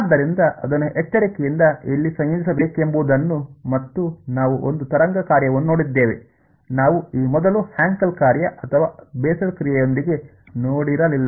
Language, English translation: Kannada, So, integrating it where to do it carefully and we came across a wave kind of function; which we had previously not seen before with a Hankel function or the bessel function